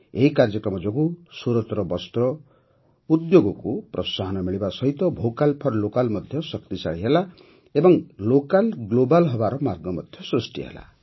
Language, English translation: Odia, This program not only gave a boost to Surat's Textile Industry, 'Vocal for Local' also got a fillip and also paved the way for Local to become Global